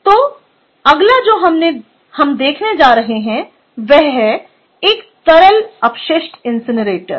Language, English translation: Hindi, ok, so the next what we are going to look at is a liquid waste incinerator